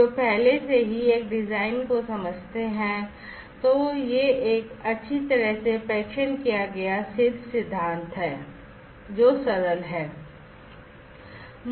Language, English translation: Hindi, Those who have already up with a design and it is a well tested well proven principle that is simpler